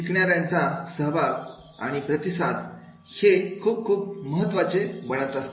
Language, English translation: Marathi, Learners participation and feedback that becomes very, very important